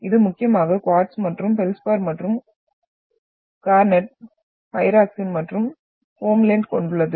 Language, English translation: Tamil, And that is predominantly quartz and feldspar along with garnet, pyroxene and homblende